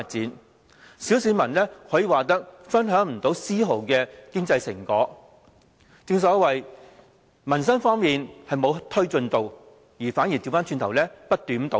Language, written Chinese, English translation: Cantonese, 可以說，小市民分享不到絲毫經濟成果。正所謂，在民生方面沒有推進，反而不斷倒退。, We may say that the ordinary public cannot partake any of the fruits of economic prosperity and we see no advancement only continued setbacks in livelihood